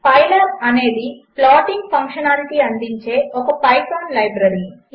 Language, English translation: Telugu, Pylab is a python library which provides plotting functionality